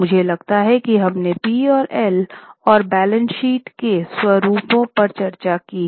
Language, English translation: Hindi, I think we have discussed the formats of P&L and balance sheet